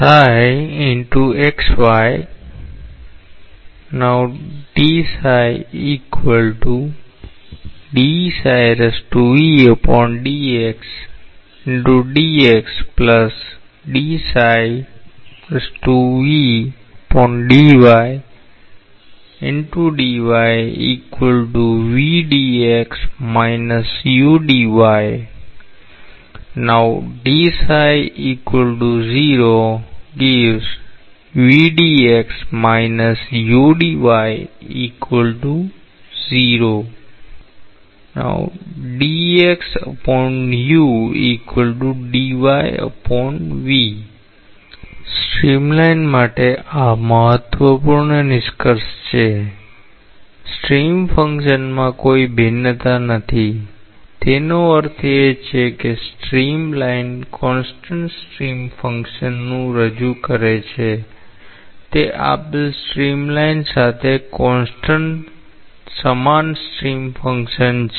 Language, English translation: Gujarati, Important conclusion is along a streamline there is no variation in stream function; that means, one stream line represents a particular constant stream function, that is the stream function equal to constant along a given stream line